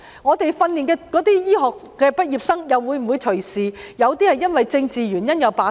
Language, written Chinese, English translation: Cantonese, 我們訓練出來的醫科畢業生又會否隨時因為政治原因而罷工？, Will locally trained medical graduates go on strike for political reasons at any time?